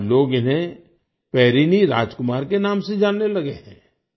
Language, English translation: Hindi, Today, people have started knowing him by the name of Perini Rajkumar